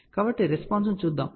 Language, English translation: Telugu, So, let us see the response